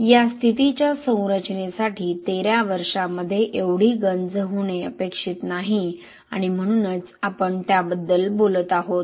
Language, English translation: Marathi, For a structure of this status it is not expected to have this much of corrosion in 13 years that is why we are actually talking about it